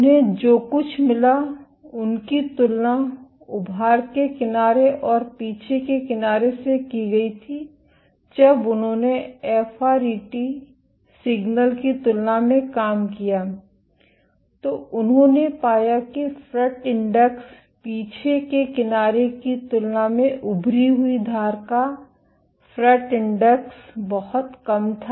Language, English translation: Hindi, What they found was compared to the protruding edge and the retraction edge when they com compared the FRET signal they found that the protruding edge the fret index was lot less compared to the retraction edge